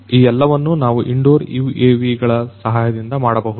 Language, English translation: Kannada, all these things can also be done with the help of these UAVs